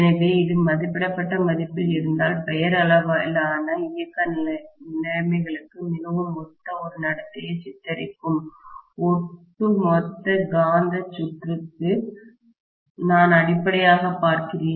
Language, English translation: Tamil, So, if it is that rated value, then I am essentially looking at the overall magnetic circuit depicting a behaviour which is very similar to normal operating conditions